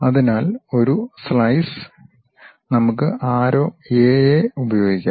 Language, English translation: Malayalam, So, I can have a slice, let us use arrows A A